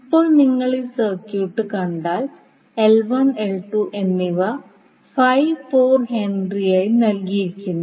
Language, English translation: Malayalam, Now if you see this particular circuit the L 1 L 2 are given as H 4 and H 4, 5 and 4 Henry